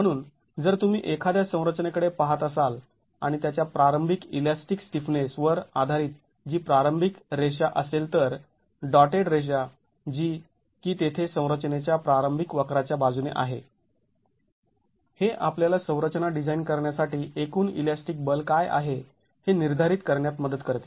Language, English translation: Marathi, So, if you are looking at a structure and based on its initial elastic stiffness, which is the initial line, the dotted line that's there along the initial curve of the structure, that helps us determine what is the total elastic force that the structure is to be designed for